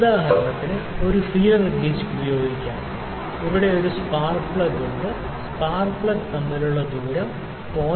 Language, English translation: Malayalam, So, feeler gauge can be used for instance, there is a spark plug here, the gap between spark plug if you see the gap between the spark plug is 0